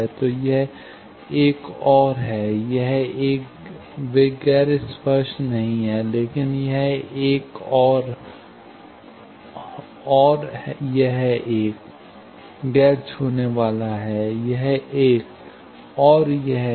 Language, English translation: Hindi, So, this one and this one, they are not non – touching; but, this one, and this one, is non touching; this one, and this one